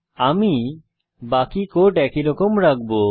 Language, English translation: Bengali, I will retain the rest of the code as it is